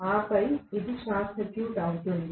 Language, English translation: Telugu, And then this going to be short circuited